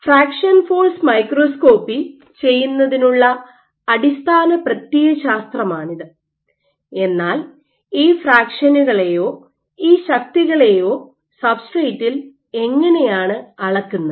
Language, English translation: Malayalam, This is the force balance and this is the basic ideology of doing fraction force microscopy, but how do you measure these fractions or these forces on the substrate